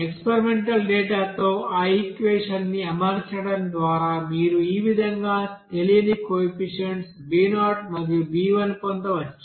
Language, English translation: Telugu, So we can solve this equation and we can get the solution for you know b0 and b1